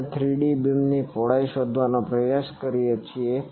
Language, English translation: Gujarati, We try to find out the 3D beam width